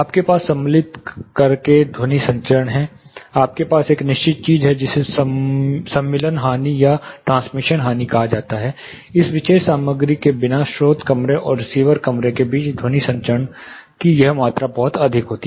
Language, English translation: Hindi, You have sound transmission by inserting, you have certain thing called insertion loss or a transmission loss, without this particular material there was, this much amount of sound transmission happening, between the source room and the receiver room